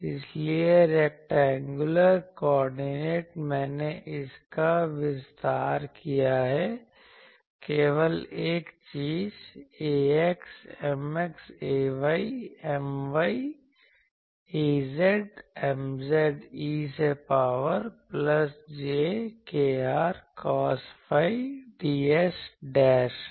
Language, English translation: Hindi, So, rectangular coordinate, I have expanded that; only thing ax M x ay M y az M z e to the power plus jkr dashed cos phi ds dash